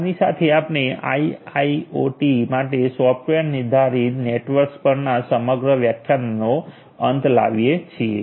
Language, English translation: Gujarati, So, with this we come to an end of the entire lectures on software defined networks for a IIoT